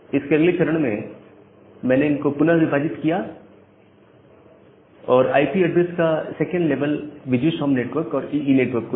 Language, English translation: Hindi, And in the next step, I have divided these, the second level of IP address to the VGSOM network and the EE network